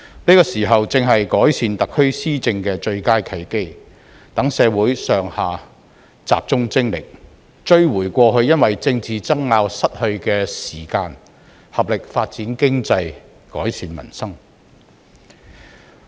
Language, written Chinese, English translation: Cantonese, 此時正是改善特區施政的最佳契機，讓社會上下集中精力，追回過去因為政治爭拗而失去的時間，合力發展經濟、改善民生。, Now is the best opportunity to improve the governance of HKSAR so that people from all strata of society can focus their energy and effort on recovering the time lost in political disputes and working together to develop the economy and improve their livelihood